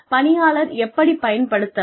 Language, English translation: Tamil, How the employee can use